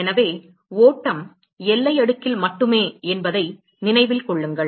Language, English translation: Tamil, So, remember that the flow is only in the boundary layer